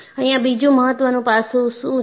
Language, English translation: Gujarati, And what is the other important aspect